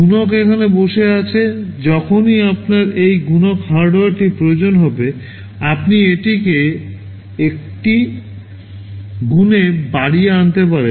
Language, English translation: Bengali, The multiplier is sitting here; whenever you need this multiplier hardware you can multiply and bring it to the, a bus